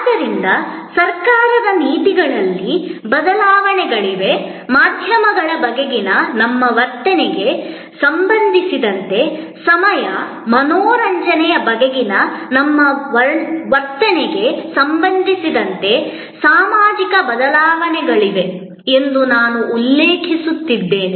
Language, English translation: Kannada, So, I mention that there are changes in government policies, there are social changes with respect to our attitude towards media, with respect to our attitude towards time entertainment